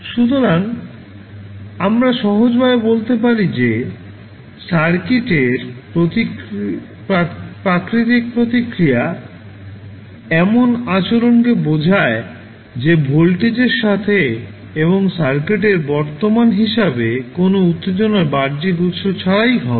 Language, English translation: Bengali, So, we can simply say that natural response of the circuit, refers to the behavior that will be in terms of voltage and current of the circuit itself with no external sources of excitation